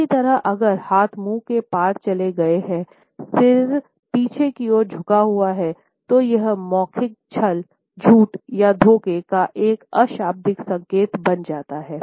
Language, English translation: Hindi, Similarly, we find if the hands have moved across the mouth, head is tilted backwards, then it becomes a nonverbal sign of verbal deceit untruth or lying or deception